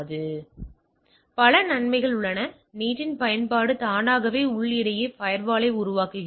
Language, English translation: Tamil, And, there are several other benefits use of NAT automatically creates a firewall between the internal